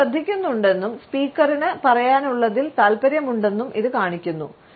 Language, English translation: Malayalam, ” It shows that we are paying attention and are interested in what the speaker has to say